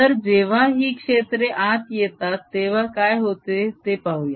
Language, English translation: Marathi, so let us see when these fields come in, what happens